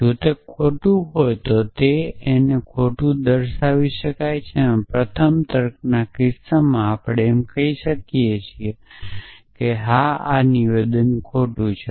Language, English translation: Gujarati, So, even if it is false you can come out and say false in the case of first of logic we cannot come out and say that yes statement is false